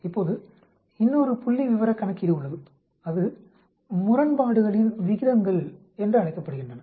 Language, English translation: Tamil, Now there is another statistical calculation that is called odds ratios